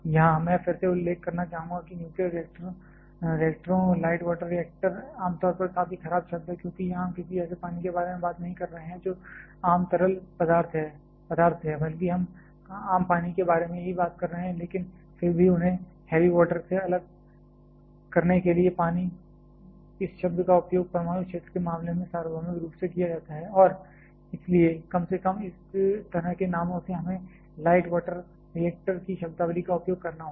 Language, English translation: Hindi, Here, I would like to mention again that light water generally is a quite bad term, because it here we talking not about any water which lighter that the common fluid rather we are talk about common water itself, but still just to differentiate them with heavy water this term is universally used in case of the nuclear field and therefore, at least in this of kind of names we have to use this light water reactor kind of terminologies